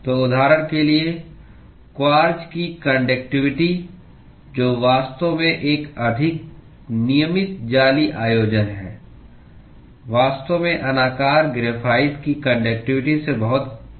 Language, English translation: Hindi, So, for example, the conductivity of quartz, which actually is a more regular lattice arrangement is actually much higher than the conductivity of let us say, amorphous graphite